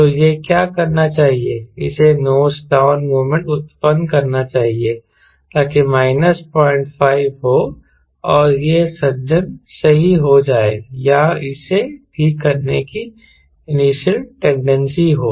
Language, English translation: Hindi, so what it should do, it should generate a nose down moment so that minus point five is there and the this gentleman gets corrected, or it has initial tendency to correct that